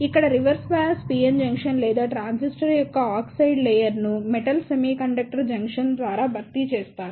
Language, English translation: Telugu, Here, the reverse bias PN junction or the oxide layer of the transistor is replaced by the metal semiconductor junction